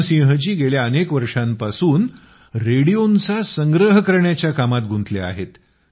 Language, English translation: Marathi, Ram Singh ji has been engaged in the work of collecting radio sets for the last several decades